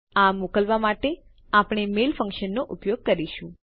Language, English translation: Gujarati, We will use the mail function to send this out